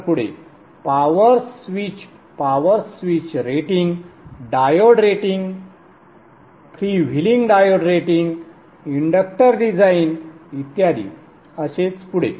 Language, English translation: Marathi, Power switch, power switch ratings, diode ratings, prevailing diode rating, inductor design, so on and so forth